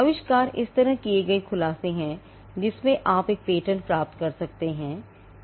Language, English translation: Hindi, Inventions are nothing but disclosures which are made in a way in which you can get a patent granted